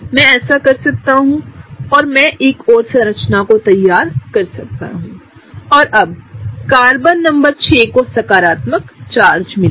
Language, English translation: Hindi, I can go on doing this, I can draw one more structure and now Carbon number 6 will get a positive charge right